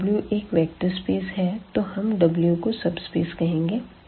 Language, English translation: Hindi, So, let V be a vector space and let W be a subset of V